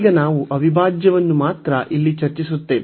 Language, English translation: Kannada, Now, we will discuss only this integral here